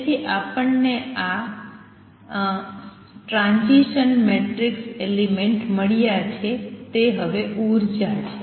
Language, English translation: Gujarati, So, we have got on these transition matrix element now energy